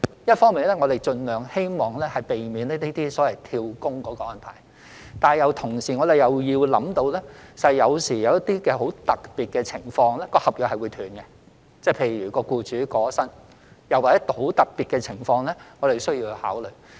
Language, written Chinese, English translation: Cantonese, 一方面，我們希望盡量避免這些所謂"跳工"的安排，但同時我們亦要考慮到有時候，一些十分特別的情況會導致合約中斷，例如僱主過身，又或其他十分特別的情況是我們需要考慮的。, On the one hand we strive to prevent these so - called job - hopping arrangements . However we must also consider the special situations which may lead to termination of the contract . For example the employer has passed away; or some other special situations we need to consider